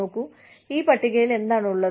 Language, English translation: Malayalam, And see, what is there, in this table